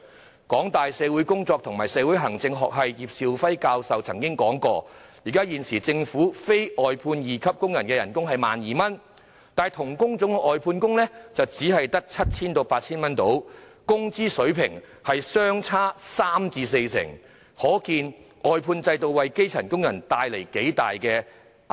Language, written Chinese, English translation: Cantonese, 香港大學社會工作及社會行政學系葉兆輝教授曾經指出，現時政府非外判二級工人的月薪是 12,000 元，但同一工種的外判工的月薪則只有約 7,000 元至 8,000 元，工資水平相差三成至四成，可見外判制度令基層工人受到多大壓榨。, As pointed out by Prof Paul YIP of the Department of Social Work and Social Administration of the University of Hong Kong the present monthly salary for the non - outsourced post of Workman II in the Government is 12,000 but that of an outsourced worker doing the same job is only 7,000 to 8,000 . The difference in wages is 30 % to 40 % thus showing the immense suppression suffered by grass - roots workers under the outsourcing system